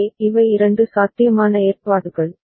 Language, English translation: Tamil, So, these are two possible arrangements